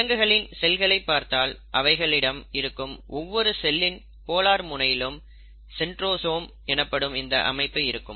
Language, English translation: Tamil, Now, in case of animal cells, what you find is each cell at one of its polar end has this structure called as the centrosome which actually is made up of centrioles